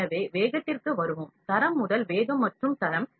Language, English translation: Tamil, So, let us come to speed and quality first speed and quality